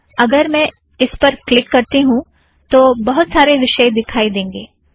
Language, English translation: Hindi, So if I click this, you will see lots of different things